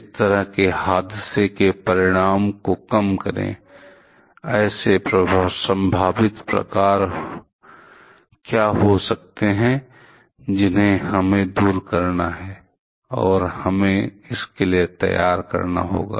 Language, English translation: Hindi, Mitigate the consequence of such an accident means, what can be the possible types of accidents that we have to foresee, and we have to prepare for that